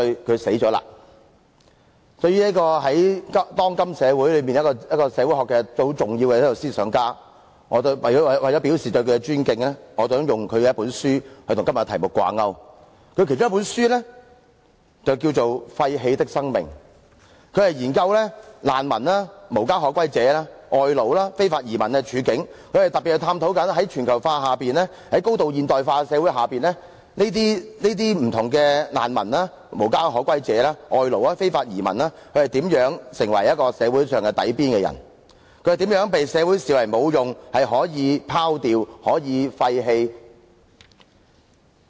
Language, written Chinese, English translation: Cantonese, 對於當今社會一位相當重要的社會學思想家，為了表示對他的尊敬，我引用他一本書，以與今天的題目掛鈎。他其中一本著作書名為《廢棄的生命》，他研究難民、無家可歸者、外勞和非法移民的處境，他特別探討在全球化下、在高度現代化的社會下，這些不同的難民、無家可歸者、外勞和非法移民如何成為一個社會最底層的人，他們是如何被社會視為無用、可以拋掉、可以廢棄的人。, He is a sociological thinker of great standing in our age and in order to show my tribute to him I wish to relate the debate topic today to one of his books called Wasted Lives Modernity And Its Outcasts . In this book he delves into the situations confronting refuges homeless people foreign workers and illegal immigrants with special emphasis on how globalization and the modernity of society have driven these people down to the lowest social strata and how they have come to be regarded by society as useless people who can be discarded or disposed of